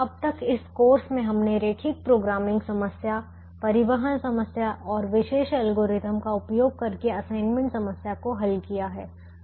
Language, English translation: Hindi, so far in this course we have solved the linear programming problem, transportation problem and the assignment problem using special algorithms